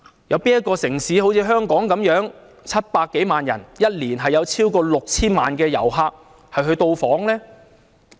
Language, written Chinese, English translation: Cantonese, 有哪個城市好像香港般有700多萬人口，每年有超過 6,000 萬旅客到訪呢？, Which city is like Hong Kong a city with a population of some 7 million and over 60 million visitors every year?